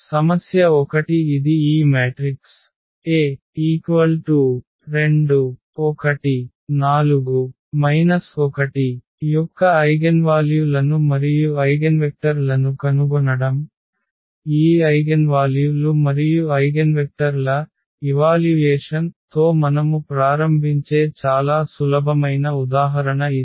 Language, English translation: Telugu, The problem number 1 it is a find the eigenvalues and the eigenvectors of this matrix A is equal to 2 1 4 n minus 2; it is a very simple example we start with the evaluation of these eigenvalues and eigenvectors